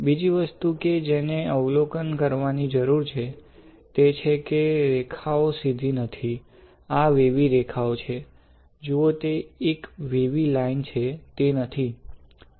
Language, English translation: Gujarati, Another thing that you need to observe is, that the lines are not straight; these are wavy lines like this, you see it is a wavy line, is not it